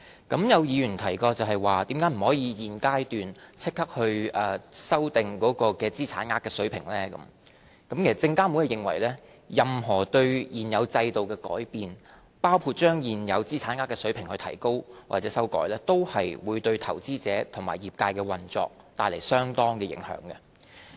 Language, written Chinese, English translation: Cantonese, 對於有議員提到為何不可以在現階段立即修訂資產額水平，證券及期貨事務監察委員會認為，任何對現有制度的改變，包括將現有資產額水平提高或修改，均會對投資者及業界的運作帶來相當影響。, I will give a consolidated response to their views . Some Members have questioned why the monetary thresholds could not be amended right away at this stage . According to the Securities and Futures Commission any alterations to the existing regime including raising or amending the existing monetary thresholds will have considerable impact on investors and the operation of the industry